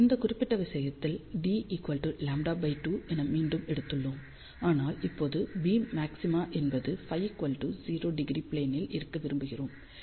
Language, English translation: Tamil, In this particular case what is that we have taken again d is equal to lambda by 2, but now we want the beam maxima to be in phi equal to 0 degree plane